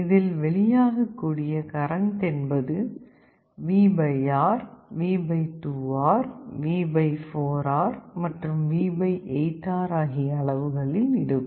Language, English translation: Tamil, So, the currents that are flowing they will be V / R, V / 2R, V / 4R, and V / 8 R